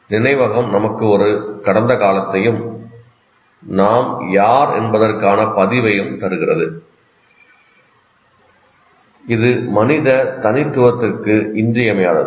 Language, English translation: Tamil, So memory gives us a past and a record of who we are and is essential to human individuality